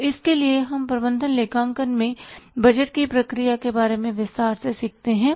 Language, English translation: Hindi, So, for that we learn in detail in the management accounting about the process of budgeting